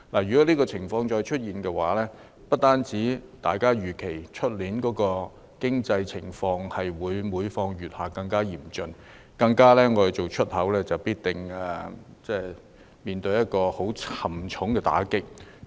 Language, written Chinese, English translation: Cantonese, 如果出現這種情況，預期明年的經濟情況會更嚴峻，而從事出口的企業更必定面對很沉重的打擊。, If that happens the economic situation next year is expected to worsen and enterprises engaging in the export industry will certainly receive a very heavy blow